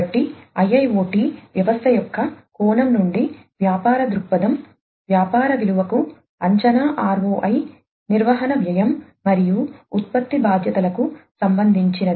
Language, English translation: Telugu, So, the business viewpoint from the perspective of an IIoT system is related to the business value, expected ROI, cost of maintenance, and product liability